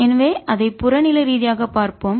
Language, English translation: Tamil, so let us look at it physically